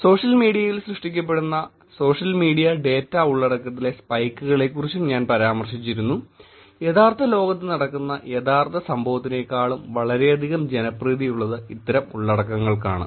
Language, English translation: Malayalam, I also mentioned about the spikes in the social media data content that is generated on social media is very, very populated with the actually event that happens in the real world